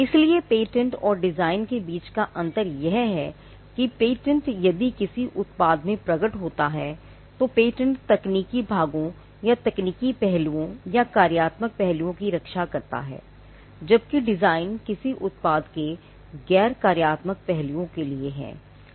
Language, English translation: Hindi, So, the difference between a patent and a design is that the patent if it manifests in a product, the patent protects the technical parts or the technical aspects or the functional aspects, whereas the design is for the non functional aspects of a product